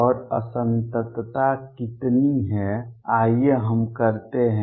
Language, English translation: Hindi, And how much is the discontinuity let us do that